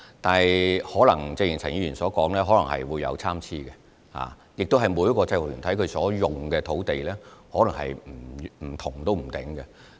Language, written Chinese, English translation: Cantonese, 但是，正如陳議員所說，大小可能會有參差，而且每個制服團體所需使用的土地可能不同。, Nevertheless as Mr CHAN said the size of venues may vary and the space provision for each UG may be different